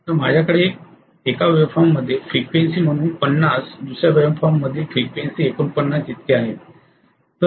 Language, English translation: Marathi, So I have 50 as the frequency in one waveform, 49 as the frequency in another waveform